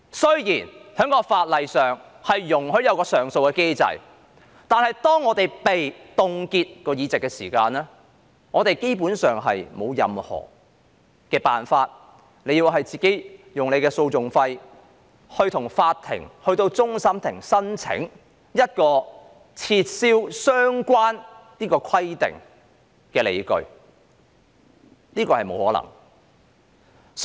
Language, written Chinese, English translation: Cantonese, 雖然在法律上設有上訴機制，但議員的議席若被凍結，基本上別無他法，只能自行承擔訟費，向終審法院提出申請撤銷相關規定的理據，但這是沒有可能辦到的事。, Although there is an appeal mechanism under the law the member concerned will basically have no alternative but to bear the legal costs on his own and make out a case for an appeal to the Court of Final Appeal to lift the relevant suspension requirement which is utterly impossible